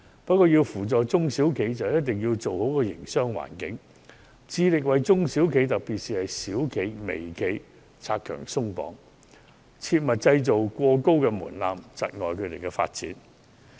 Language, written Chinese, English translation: Cantonese, 不過，要扶助中小企便必須營造好營商環境，致力為中小企拆牆鬆綁，切勿設立過高的門檻，窒礙他們的發展。, However in order to assist SMEs we must create a favourable business environment remove unnecessary restrictions for SMEs and avoid setting excessively high thresholds that hinder the development of SMEs